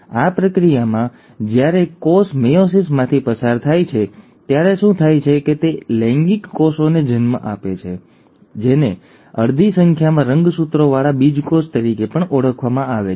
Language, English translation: Gujarati, In this process, when a cell undergoes meiosis, what happens is that it gives rise to sex cells, which are also called as gametes with half the number of chromosomes